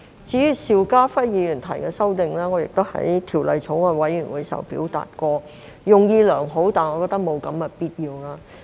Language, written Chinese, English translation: Cantonese, 至於邵家輝議員提出的修正案，我在法案委員會時也表達過，他的用意是良好的，但我覺得沒有必要。, As for the amendments proposed by Mr SHIU Ka - fai I have expressed my views in the Bills Committee . He is well - intentioned but I find them unnecessary